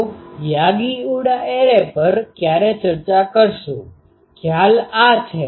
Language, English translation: Gujarati, So, when will discuss the Yagi Uda array, the concept is this